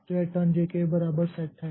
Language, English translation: Hindi, So, it will find turned is not equal to J